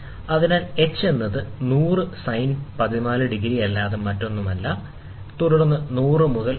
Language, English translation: Malayalam, So, h is the nothing but 100 sin 14 degrees, so this is nothing but 100 into 0